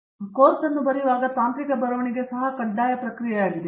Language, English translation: Kannada, When I say writing of course, technical writing is also mandatory process